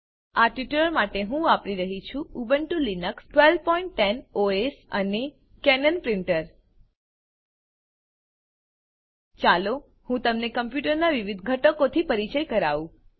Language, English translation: Gujarati, For this tutorial, Im using Ubuntu Linux 12.10 OS and Cannon printer Let me quickly introduce you to the various components of a computer